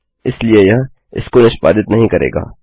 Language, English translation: Hindi, Therefore it wont execute this